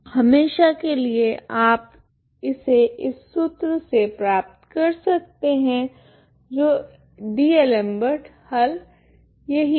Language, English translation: Hindi, For all times you can get it from this formula so that is what is the D'Alembert solution